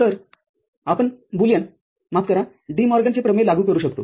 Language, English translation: Marathi, So, we can apply Boolean sorry, DeMorgan’s theorem over here